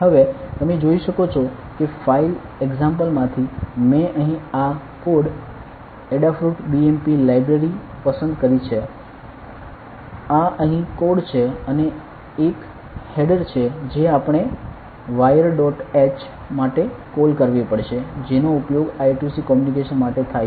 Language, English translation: Gujarati, Now, you can see that from the file examples, I have selected this code Adafruit BMP library here, this is the code over here and there is a header that we have to call for wire dot h that is used for the I square C communication